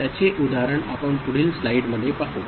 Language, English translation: Marathi, We shall see that example in the next slide ok